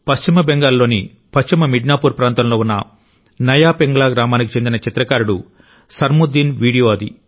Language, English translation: Telugu, That video was of Sarmuddin, a painter from Naya Pingla village in West Midnapore, West Bengal